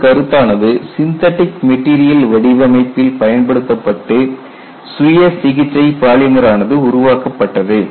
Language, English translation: Tamil, So, this concept has been applied to synthetic material design and a self healing polymer has been developed